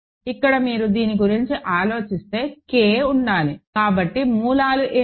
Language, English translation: Telugu, So, here if you think about this, K will have to be so what are the roots